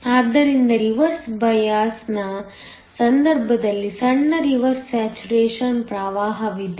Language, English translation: Kannada, So, in the case of a reverse bias there is a small reverse saturation current